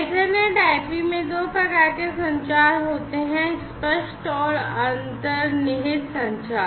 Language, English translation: Hindi, So, in EtherNet/IP there are two types of communications; explicit and implicit communication